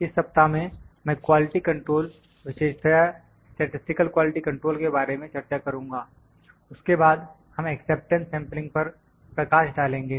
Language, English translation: Hindi, In this week, I will discuss about the quality control quality control as specifically statistical quality control then, we will have some light on acceptance sampling